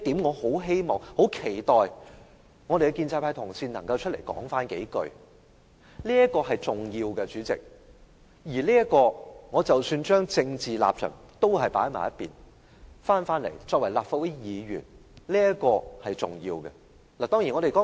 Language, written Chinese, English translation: Cantonese, 我很希望和期待建制派同事能就此說幾句話，這是相當重要的，即使把政治立場放在一旁，單以立法會議員的身份而論，這也是重要的一點。, I really hope fellow colleagues from the pro - establishment camp can say a few words in this regard and I am looking forward to listening to their speech because this is very important . This is still an important point even if we put aside our political stance and look at the issue purely from the perspective of our identity as a Legislative Council Member